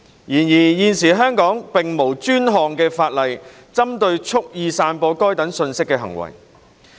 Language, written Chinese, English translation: Cantonese, 然而，現時香港並無專項法例針對蓄意散播該等信息的行為。, However there is currently no dedicated legislation in Hong Kong targeting acts of wilfully spreading such information